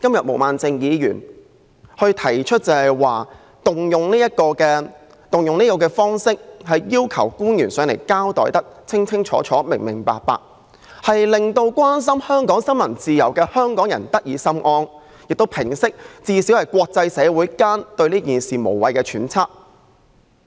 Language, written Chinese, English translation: Cantonese, 毛孟靜議員動議這項議案的目的，是要求官員到本會把事件交代清楚，令關心香港新聞自由的香港人得以心安，以及最低限度平息國際社會對此事的無謂揣測。, Ms Claudia MOs motion seeks to ask public officers to attend before this Council to give a clear account of the incident so as to put the minds of Hong Kong people who are concerned about freedom of the press at ease; and at least to clarify the doubts arising from the unnecessary speculations in the international community